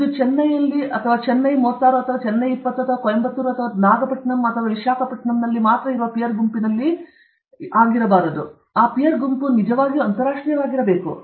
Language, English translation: Kannada, It should not be peer group only in Chennai 36 or Chennai 20 or in Coimbatore or Nagapattinam or Visakhapatnam or whatever; that peer group must be truly international